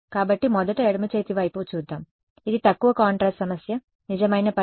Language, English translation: Telugu, So, let us first look at the left hand side this is a low contrast problem whether true solution is x 1 x 2 is equal to 0